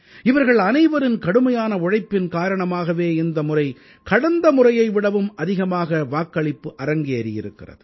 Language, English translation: Tamil, It is on account of these people that this time voting took place on a larger scale compared to the previous Election